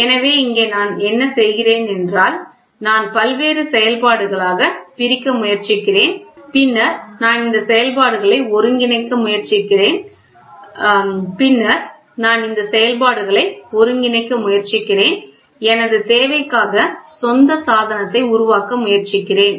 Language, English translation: Tamil, So, here what I am doing is I am trying to split into various functions and then am I trying to assimilate these functions, try to develop my own device for the requirement